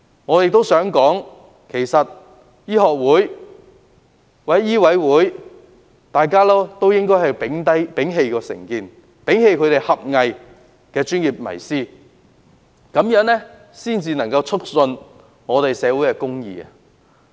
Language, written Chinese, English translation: Cantonese, 我認為，香港醫學會或醫委會應摒棄成見及狹隘的專業迷思，這樣才能促進社會公義。, In my view to uphold social justice the Hong Kong Medical Association HKMA or the Medical Council of Hong Kong should abandon the biases and parochial misconception of their profession